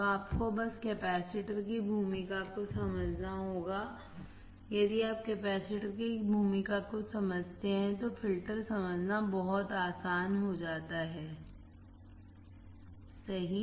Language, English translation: Hindi, So, you have to just understand the role of the capacitor, if you understand the role of capacitor, the filter becomes very easy to understand right